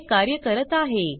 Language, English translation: Marathi, it is working